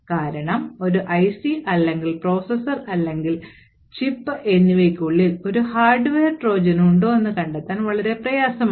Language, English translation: Malayalam, These days, essentially, because it is extremely difficult to detect whether an IC or a processor or a chip is having a hardware Trojan present within it